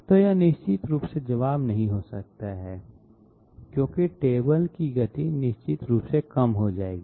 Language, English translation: Hindi, So this definitely cannot be the answer because table speed will definitely become lower